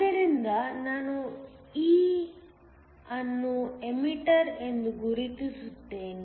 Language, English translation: Kannada, So, I will mark this E, to mean the emitter